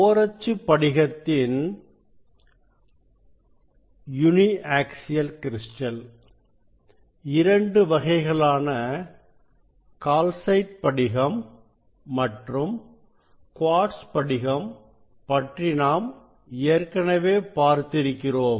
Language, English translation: Tamil, we have seen these two types of uniaxial crystal, calcite crystal and quartz crystal